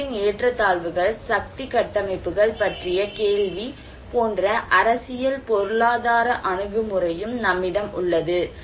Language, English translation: Tamil, And also the political economic approach like the question of inequalities or disparities of assets, the power structures